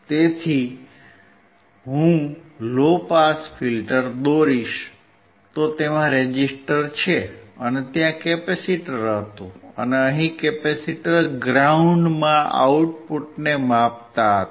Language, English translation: Gujarati, So, if I draw a low pass filter, it has a resistor, and there was a capacitor, and we were measuring the output across the capacitor ground